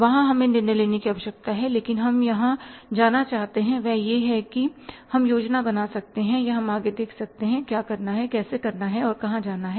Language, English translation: Hindi, There we need the decision making but where we want to go is the say way we can plan or we can look forward what to do how to do and where to go